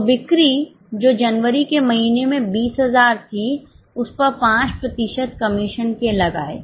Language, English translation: Hindi, So, on the sales which was 20,000 in the month of January, 5% commission